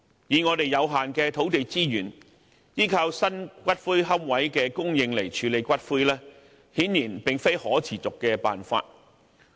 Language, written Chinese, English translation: Cantonese, 以我們有限的土地資源，依靠新骨灰龕位的供應來處理骨灰，顯然並非可持續的辦法。, Given the scarcity of our land resources it is obviously not a sustainable approach to solely rely on the supply of new niches for disposing ashes